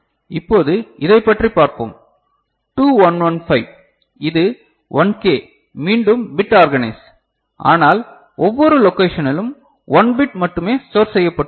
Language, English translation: Tamil, Now, what about this one, 2115 this is bit organized again 1K, but in each location you are having only 1 bit that is stored right